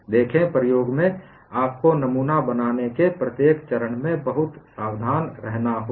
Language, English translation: Hindi, See, in experiment, you have to be very careful at every stage of making the specimen